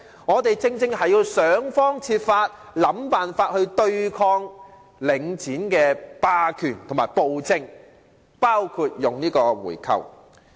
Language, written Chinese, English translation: Cantonese, 我們必須想方設法對抗領展的霸權和暴政，包括採取回購的方式。, We must try all means possible including a buy - back to counteract Link REITs hegemony and tyrannical policies